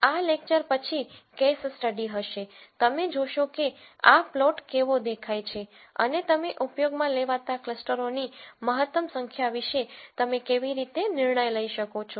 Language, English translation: Gujarati, The case study that follows this lecture, you will see how this plot looks and how you can make judgments about the optimal number of clusters that you should use